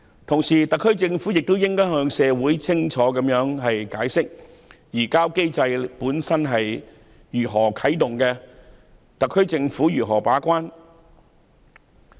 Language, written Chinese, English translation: Cantonese, 同時，特區政府亦應向社會清楚解釋，如何啟動移交機制及特區政府如何把關。, At the same time the HKSAR Government should explain clearly to the public how the surrender mechanism will be initiated and how the HKSAR Government will play its gatekeepers role